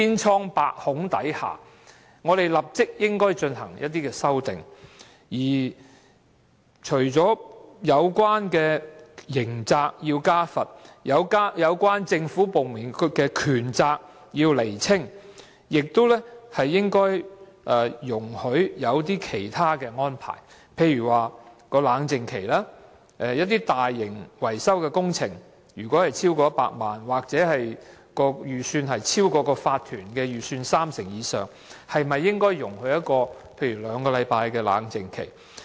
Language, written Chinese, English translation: Cantonese, 除了在刑責上要加重罰則，以及釐清有關政府部門的權責外，當局亦應容許制訂一些其他安排，例如設立冷靜期，當一些大型維修工程的費用超過100萬元或超過法團的預算三成以上時，應該容許設立冷靜期如兩星期。, Apart from increasing the penalty in terms of criminal liability and defining the powers and accountability of relevant government departments properly the authorities should allow the formulation of some other arrangements such as the introduction of a cooling - off period . For instance for large - scale maintenance works projects costing over 1 million or exceeding 30 % of the budget of OC a cooling - off period of two weeks or so should be allowed to set up